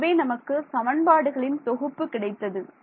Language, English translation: Tamil, So, I got a system of equations right